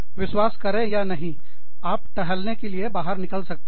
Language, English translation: Hindi, Believe it or not, you could just go out for a walk